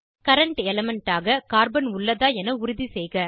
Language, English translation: Tamil, Ensure that current element is Carbon